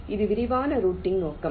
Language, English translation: Tamil, this is the scope of detailed routing